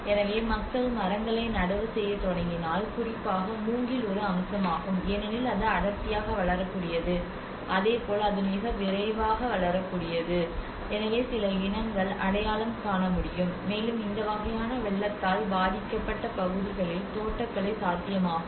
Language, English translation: Tamil, So imagine if people start planting the trees and especially bamboo is one aspect one because it can densely grow and as well as it was very quick in growing so there are some species one can identify, and plantation could be possible in this kind of flood affected areas